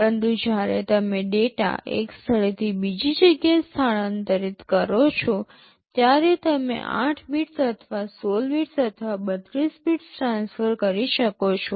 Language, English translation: Gujarati, But when you are transferring data from one place to another, you can transfer 8 bits or 16 bits or 32 bits